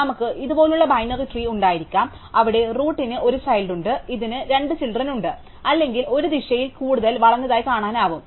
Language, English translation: Malayalam, So, we could have binary trees which look like this, where the root has 1 child, this has 2 children or it could look even more skewed in one direction